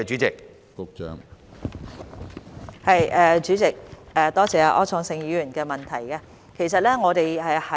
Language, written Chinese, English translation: Cantonese, 主席，多謝柯創盛議員的補充質詢。, President I would like to thank Mr Wilson OR for his supplementary question